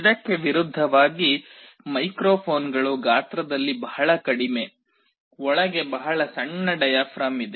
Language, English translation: Kannada, In contrast microphones are very small in size; there is a very small diaphragm inside